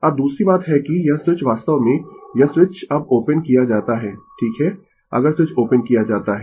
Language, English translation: Hindi, Now second thing is that this switch actually this switch is now opened right if switch is opened